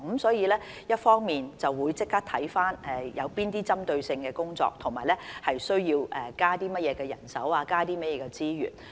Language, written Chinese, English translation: Cantonese, 所以，一方面，即時看看需進行哪些針對性工作，需要增加甚麼人手和資源。, Therefore on the one hand we will immediately look into problems which should be addressed first as well as the manpower and resources needed